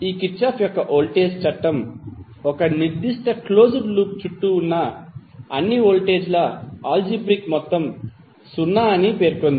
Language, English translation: Telugu, This Kirchhoff’s voltage law states that the algebraic sum of all the voltages around a particular closed loop would be 0